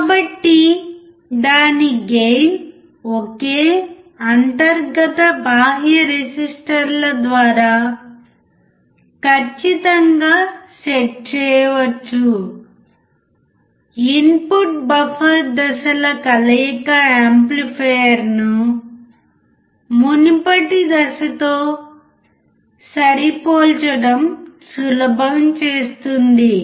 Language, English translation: Telugu, So, its gain can be precisely set by a single internal external resistors, the addition of input buffer stages makes it easy to match the amplifier with the preceding stage